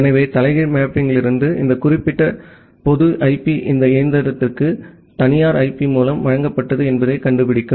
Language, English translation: Tamil, So, from the reverse mapping, it finds out that well this particular public IP was given to this machine with the private IP